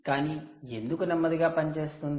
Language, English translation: Telugu, why is it slow